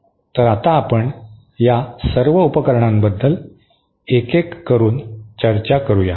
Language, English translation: Marathi, So, let us now discuss one by one all these devices